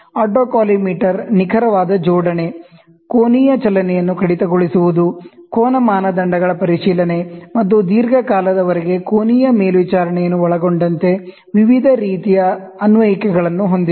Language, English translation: Kannada, Autocollimator has a wide variety of application including a precision alignment, deduction of angular movement, verification of angle standards, and angular monitoring over long period can be done by an autocollimator